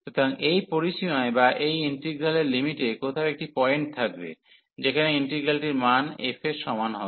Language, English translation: Bengali, So, there will be a point somewhere in this range or the limits of this integral, where the integral value will be equal to f